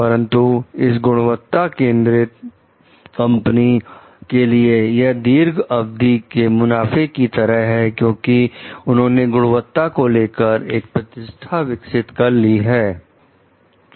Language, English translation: Hindi, But for this quality oriented companies, it may lead to like the long term profit because they have developed a reputation for quality